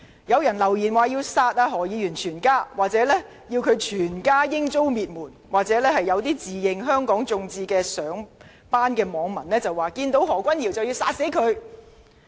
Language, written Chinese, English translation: Cantonese, 有人留言，說要殺何議員全家，或要他全家遭滅門；有自稱香港眾志的上班網民說，當看到何君堯議員便要殺死他。, Someone left a message saying that he would kill all family members of Dr HO or exterminate his whole family . A netizen who claimed to work for Demosistō said that he would kill Dr Junius HO when seeing him